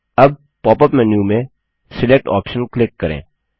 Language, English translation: Hindi, Now click on the Select option in the pop up menu